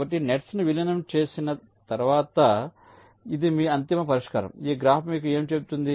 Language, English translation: Telugu, so this is your, your ultimate solution after merging the nets: what this graph tells you